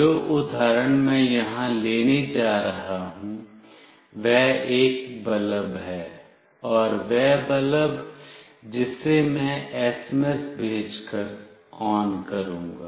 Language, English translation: Hindi, The example that I will be taking here is a bulb, and that bulb I will switch on by sending an SMS